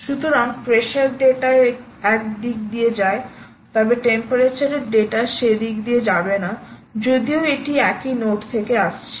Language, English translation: Bengali, so pleasure information goes in this direction: pressure data, but temperature data we will perhaps not go all though it is coming from the same node